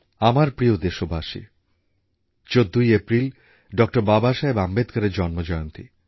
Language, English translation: Bengali, My dear countrymen, April 14 is the birth anniversary of Dr